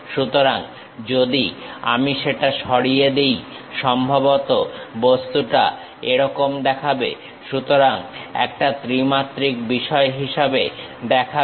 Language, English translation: Bengali, So, if I am removing that, perhaps the object looks like this; so, as a three dimensional thing